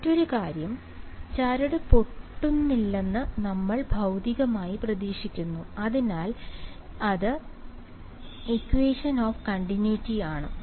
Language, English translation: Malayalam, The other thing is that we physically expect that the string does not break, so that is equation of continuity right